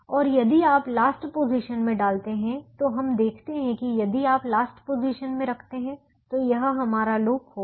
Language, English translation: Hindi, and if you put in the last position, we also observe that if you put last position, this will be our loop